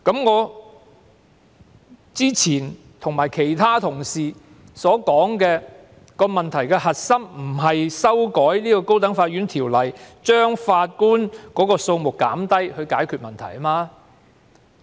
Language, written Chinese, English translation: Cantonese, 我之前和其他同事均指出，問題的核心並非單憑修改《高等法院條例》，減低法官數目便能解決。, As I and other Honourable colleagues have pointed out the crux of the problem cannot be solved simply by amending the High Court Ordinance to reduce the number of judges